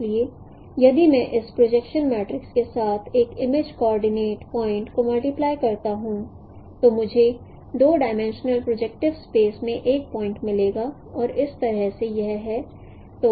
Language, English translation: Hindi, So if I apply the projection matrix, if I multiply an image coordinate point with this projection matrix, I will get a point in the two dimensional projective space and that is how in this form